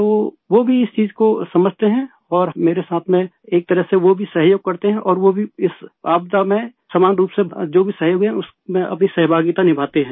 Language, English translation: Hindi, So they too understand this thing and in a way they also cooperate with me and they also contribute in whatever kind of cooperation there is during the time of this calamity